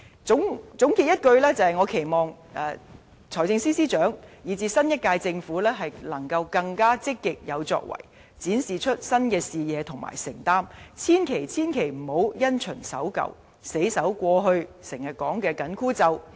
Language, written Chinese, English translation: Cantonese, 總括來說，我期望財政司司長，以至新一屆政府更積極有為，展示新視野和承擔，千萬、千萬不要因循守舊，死守過去經常提到的"緊箍咒"。, In a nutshell I hope the Financial Secretary and even the new government cabinet can proactively demonstrate their new vision and commitment but never rigidly follow the rulebook clinging on to the excess self - restraint in fiscal management frequently reiterated in the past